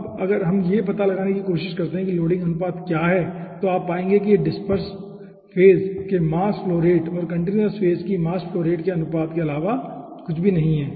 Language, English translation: Hindi, now if we try to find out what is the, you know, loading ratio, okay, wet, okay then you will be finding out that is nothing but the ratio between mass flow of dispersed phase divided by the mass flow rate of the continuous phase